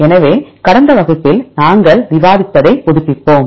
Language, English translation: Tamil, So, just to refresh what did we discuss in the last class